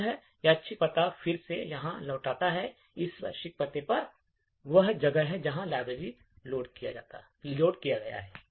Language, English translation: Hindi, So, this random address then returns here and at this random address is where the library is loaded